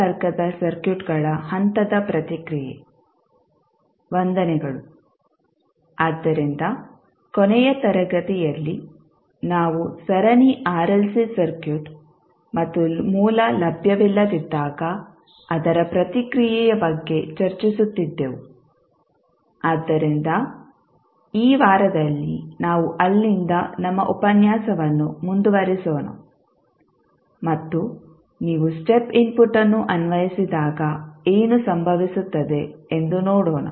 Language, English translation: Kannada, Namaskar, so in the last class we were discussing about the series RLC circuit and its response when the source is not available, so, we will continue our journey from there in this week also and let us see when you apply step input then what will happen